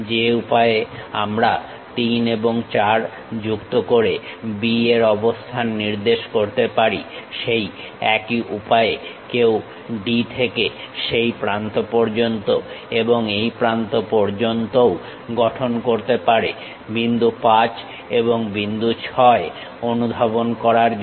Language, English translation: Bengali, The way how we have located B to connect 3 and 4, similar way one can even construct from D all the way to that end and all the way to this end to track 5 point 5 and 6 points